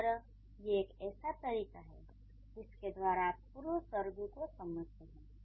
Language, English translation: Hindi, So, these are the, this is a way by which you understand prepositions